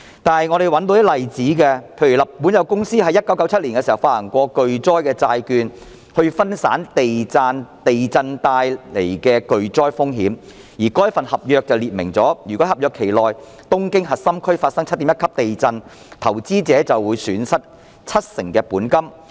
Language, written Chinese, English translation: Cantonese, 不過，我們找到一些例子，例如日本有公司在1997年發行巨災債券以分散地震帶來的巨災風險，而該份合約訂明，如果東京核心區在合約期內發生 7.1 級地震，投資者便會損失七成本金。, Nevertheless we have found some examples . A certain Japanese company issued catastrophe bonds in 1997 for risk diversification in case of catastrophe exposures during an earthquake . It was stated in the contract that in case a 7.1 magnitude earthquake took place in the core districts of Tokyo investors would lose 70 % of their principal